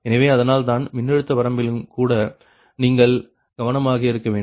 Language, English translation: Tamil, so thats why voltage constraint also must be, you have to be careful